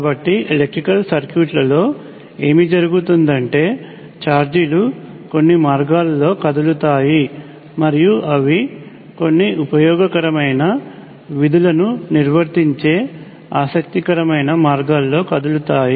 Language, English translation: Telugu, So what happens in electrical circuits is that charges move in certain ways and they move in interesting ways that carry out certain useful functions